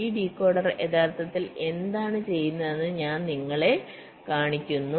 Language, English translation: Malayalam, so i am just showing you what this decoder actually does